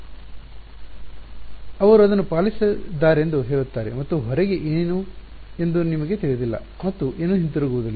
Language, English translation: Kannada, They will say that obeyed and you do not know what is outside and nothing came back